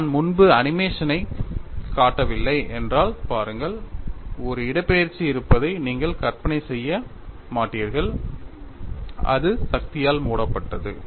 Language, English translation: Tamil, See if I have not shown the animation earlier, you would not visualize that there was a displacement which was closed by the force